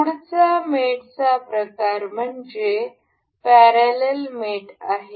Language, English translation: Marathi, The next kind of mate is parallel mate